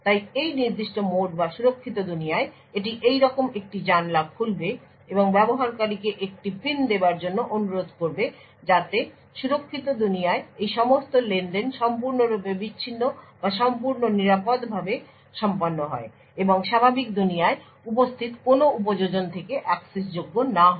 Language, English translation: Bengali, So in this particular mode or the secure world it would pop up a window like this and request the user to enter a PIN so all of this transactions in the secure world is completely isolated or completely done securely and not accessible from any of the applications present in the normal world